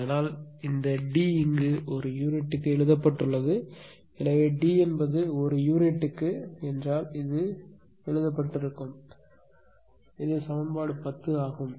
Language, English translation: Tamil, So, that is why this D here is written in per unit; so, d is also per unit into delta f this is written right this is equation 10